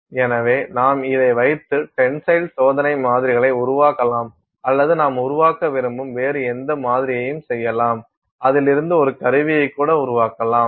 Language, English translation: Tamil, So, you can make say tensile test samples with this or any other sample that you want to make out of it, you can even make a tool out of it